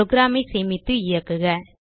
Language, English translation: Tamil, Save and Run the program